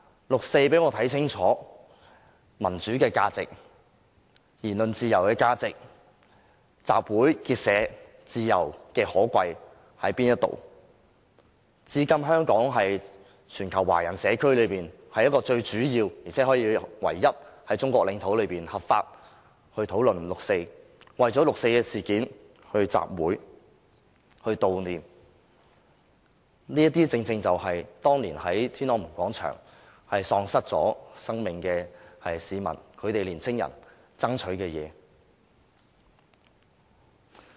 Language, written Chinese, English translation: Cantonese, 六四讓我看清楚民主和言論自由的價值、集會結社自由的可貴，至今香港仍然是全球華人社區內最主要的，而且是唯一能在中國領土上合法討論六四、為六四事件舉行集會和悼念活動的地方，這些正是當年在天安門廣場喪失性命的市民及年青人爭取的東西。, The 4 June incident has enabled me to see clearly how valuable democracy and freedom of speech are and also how precious the freedoms of assembly and of association are . Since the incident Hong Kong has remained a major place in the international Chinese community and also the only place in Chinese territory where discussions on the 4 June incident are not unlawful and where assemblies and commemorative activities can be held for the 4 June incident . All these are precisely the result of the fight involving those people and youngsters who lost their lives in Tiananmen Square that year